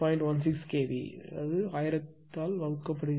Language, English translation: Tamil, 16 kv divided by 1000 right